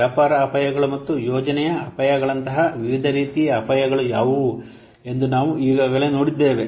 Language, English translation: Kannada, We have already seen the different types of risks such as what business risks and the project risk